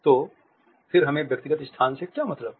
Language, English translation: Hindi, So, what do we mean by personal space